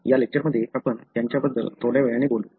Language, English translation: Marathi, So, we will be talking about them little later in this lecture